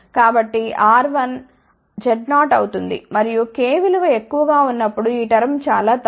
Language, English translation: Telugu, So, R 1 will become Z 0 and if k is very large then this term will be negligible